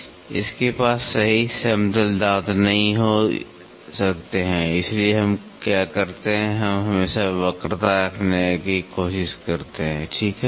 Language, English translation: Hindi, You cannot have perfect flat teeth so, what we does we always try to have a curvature, right